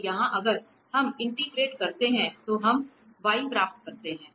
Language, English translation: Hindi, So, here if we integrate, so we will get v